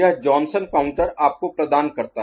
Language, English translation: Hindi, So, that is the Johnson counter providing you